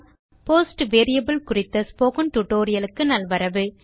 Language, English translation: Tamil, Welcome to the Spoken Tutorial on Post variable